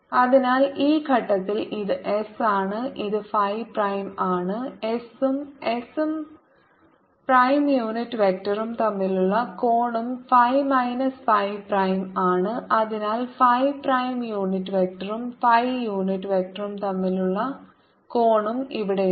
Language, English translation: Malayalam, the angle between s and s prime unit vector is phi minus phi prime and therefore angle between phi prime unit vector and phi unit vector is also out here let me show it in a different color is phi minus phi prime and therefore this angle is pi by two minus phi minus phi prime